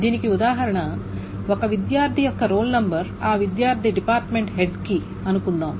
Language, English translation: Telugu, An example of this is suppose the role number of a student to the head of the department of that student